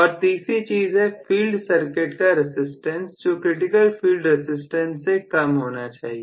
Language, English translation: Hindi, And the third thing is the resistance of the field circuit should be less than that of critical field resistance